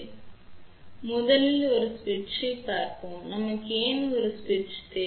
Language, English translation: Tamil, So, first of all let just look at a switch, why we need a switch